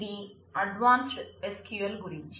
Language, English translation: Telugu, This will be on advanced SQL